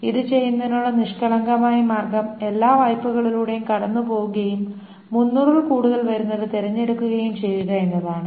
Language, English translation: Malayalam, The naive way of doing it, the simplest way of doing is to go through all the loans and select whichever is larger than 300